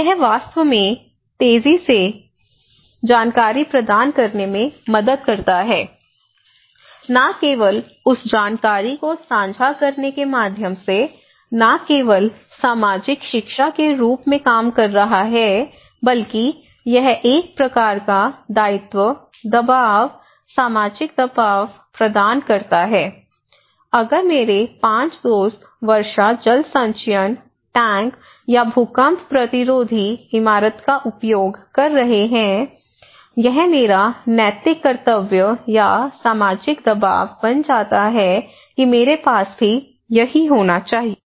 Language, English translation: Hindi, So, it actually helps to provide faster information, sharing not only that is not only working as the learning, social learning through passing the information very fast but also it provides a kind of obligations, pressure, social pressure, if 5 of my friends are using the rainwater harvesting tank or an earthquake resistant building, it becomes my moral duty or social pressure I feel that I should have also the same